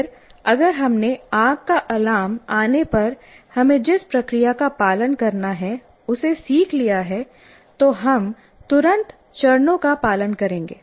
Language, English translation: Hindi, And then if you have learned what is the procedure you need to follow when the fire alarm comes, you will immediately follow those steps